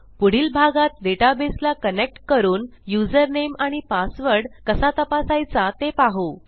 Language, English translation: Marathi, In the next one I will show how to connect to our database and check for the user name and password